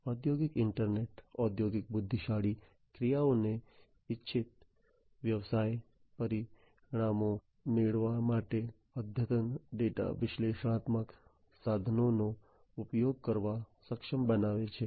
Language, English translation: Gujarati, So, basically, the industrial internet enables the industrial intelligent actions to use advanced data analytic tools for getting desired business results